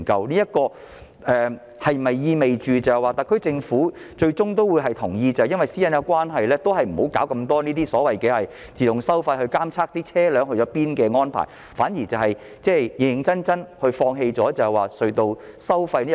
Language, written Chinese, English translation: Cantonese, 這是否意味特區政府最終會同意基於私隱關係，不再搞太多這類自動收費系統監察車輛的去向，反而會認真地考慮放棄隧道收費呢？, Does it mean that the SAR Government finally agrees to respect privacy and abandon this kind of automatic fare collection systems to monitor the whereabouts of vehicles and that it will seriously consider waiving the tunnel tolls?